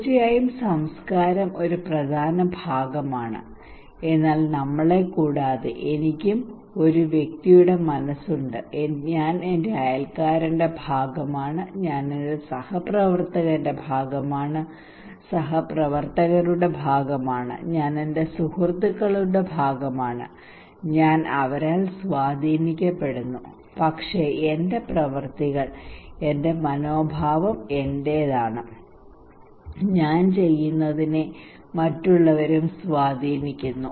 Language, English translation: Malayalam, Of course culture is an important part, but apart from we, also I have a mind of individual, I am part of my neighbour, I am part of my colleague, co workers, I am part of my friends, I am influenced by them but my actions my attitudes are my own I am also influenced by others what I do okay